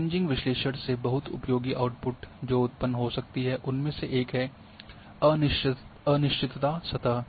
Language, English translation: Hindi, One of the very useful outputs from a Kriging analysis is a uncertainty surface that can be generated